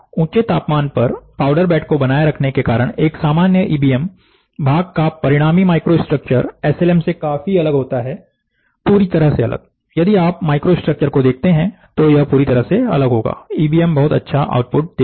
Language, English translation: Hindi, By maintaining the powder bed at elevated temperature; however, the resulting microstructure of a typical EBM part is significantly different from that of SLM, completely different, if you see the microstructure, it will be completely different, EBM gives a very good output